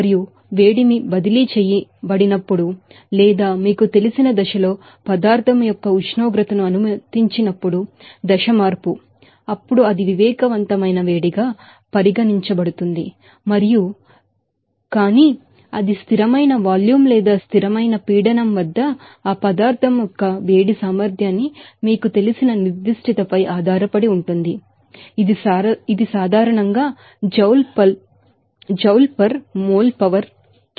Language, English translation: Telugu, And when heat is transferred range or allow the temperature of a material in the absence of you know phase change then it will be regarded as sensible heat and, but it depends on that specific you know heat capacity of that material at a constant volume or a constant pressure and it is usually generally Joule per mole power k